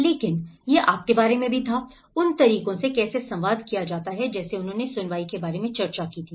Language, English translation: Hindi, But it was also about the you know, the ways how it is communicated like he discussed about the hearing